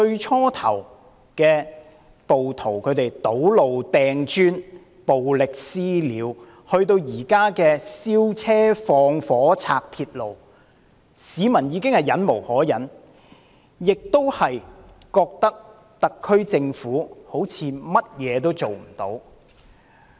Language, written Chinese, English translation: Cantonese, 暴徒由最初的堵路、擲磚、暴力"私了"，到現在燒車、縱火、破壞鐵路，市民已經忍無可忍，亦感到特區政府似乎甚麼也做不到。, At the beginning rioters blocked roads hurled bricks made violent vigilante attacks they now set fire on vehicles commit arsons sabotage railway tracks . Many people have found the situation increasingly intolerable and felt that the SAR Government can do nothing about it